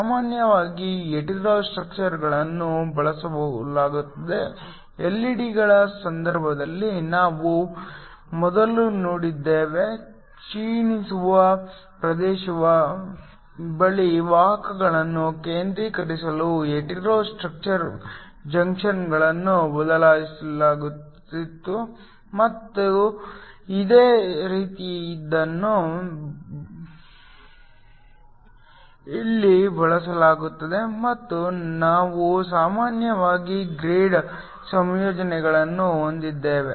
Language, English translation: Kannada, Usually Hetero structures are used, we saw earlier in the case of LED’s, hetero structure junctions are used in order to concentrate the carriers near the depletion region and something similar is used here and we also usually end up having graded compositions